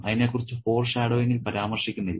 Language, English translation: Malayalam, That is not referred to in the foreshadowing